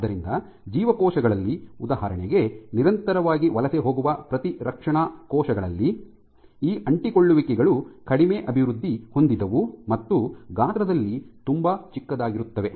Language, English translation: Kannada, So, in cells which are we cleared here in for example, the in immune cells which are continuously migrating, these adhesions are much less well developed and are much smaller in size